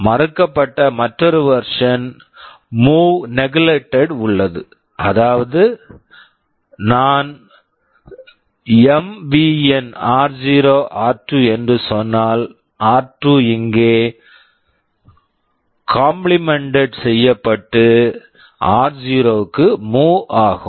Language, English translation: Tamil, There is another version move negated; that means, if I say MVN r0,r2 here this 2 will be complemented and will be moved into r0